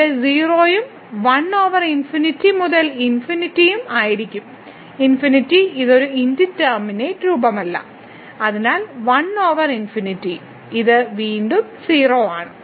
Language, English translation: Malayalam, So, 0 here and 1 over infinity into infinity will be infinity it is not an indeterminate form so, 1 over infinity this is 0 again